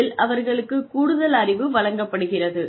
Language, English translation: Tamil, They are given additional knowledge